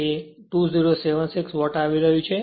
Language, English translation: Gujarati, So, it is coming 2076 watt right